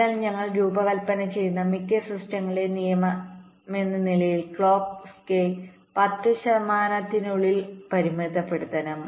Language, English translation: Malayalam, so, as a rule of thumb, most of the systems we design, we have to limit clock skew to within ten percent